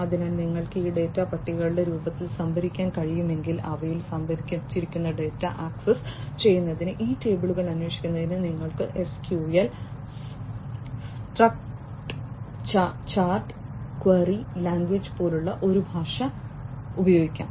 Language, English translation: Malayalam, So, if you are able to store this data in the form of tables, so you can use a language like SQL, Structured Query Language to query these tables to access the data, that are stored in them